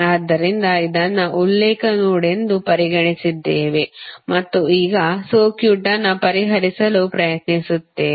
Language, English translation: Kannada, So, we have considered this as a reference node and now we will try to solve the circuit